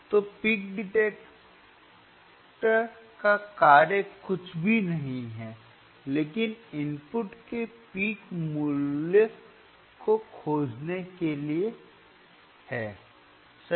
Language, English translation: Hindi, So, function of the peak detector is nothing, but to find the peak value peak value of the input right